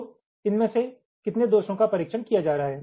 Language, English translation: Hindi, so how many of these faults are getting tested